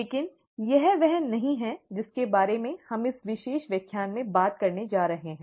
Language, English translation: Hindi, But that is not what we are going to talk about in this particular lecture